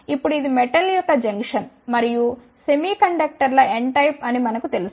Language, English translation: Telugu, Now, we know this is the junction of metal and the n type of semiconductors